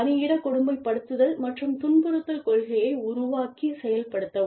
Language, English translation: Tamil, Devise and implement, a workplace bullying and harassment policy